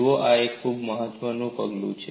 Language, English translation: Gujarati, See, this is a very important step